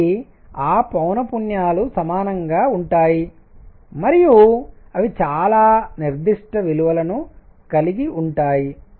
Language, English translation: Telugu, So, those frequencies are going to be equal and they are going to have very specific values